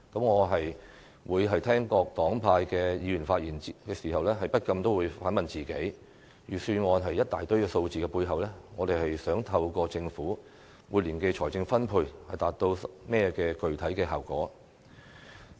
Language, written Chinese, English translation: Cantonese, 我在聆聽各黨派議員的發言時，不禁也會反問自己，在預算案一大堆數字的背後，我們想透過政府每年的財政分配，達到甚麼具體效果？, When listening to the speeches of Members from various political parties and groups I cannot help asking myself the following question Behind all the figures in the Budget what specific effect do we want to achieve through the annual funding allocation by the Government?